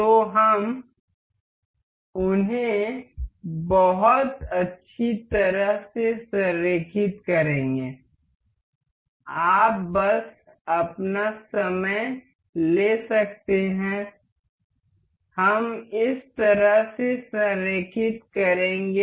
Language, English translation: Hindi, So, we will align them very nicely you can just take your time we will align in this way